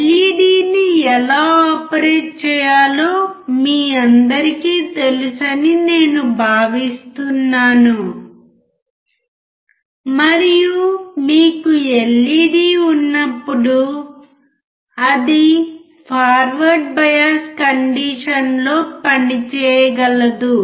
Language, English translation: Telugu, I am assuming right now that you all know how to operate a LED and when you have an LED then it can work in a forward bias condition